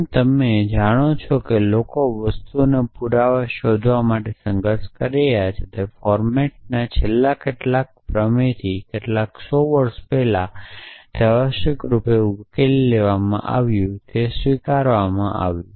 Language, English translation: Gujarati, So, as you know people have been struggling to find proof of things for example, Fermat’s last theorem to a few hundred years before it was accepted as being solved essentially